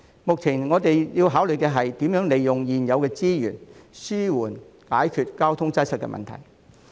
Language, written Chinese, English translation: Cantonese, 目前我們要考慮的是，如何利用現有資源，緩解交通擠塞的問題。, What we need to consider now is how to alleviate traffic congestion with existing resources